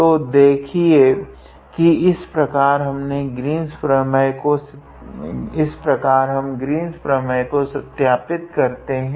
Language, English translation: Hindi, So, you see this is how we verify the Green’s theorem